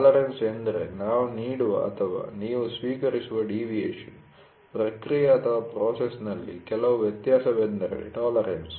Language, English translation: Kannada, Tolerance is the deviation which we give or we accept, some variation in the process is tolerance